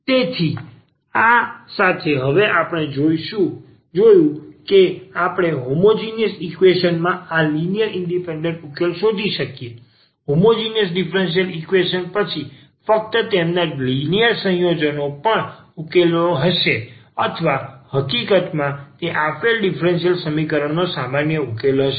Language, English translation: Gujarati, So, with this now what we have seen that if we can find these n linearly independent solutions of the homogenous equation; homogeneous differential equation then just their linear combination will be also the solution of or in fact, it will be the general solution of the given differential equation